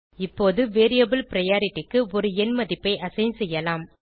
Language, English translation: Tamil, Now let us assign a numerical value to the variable priority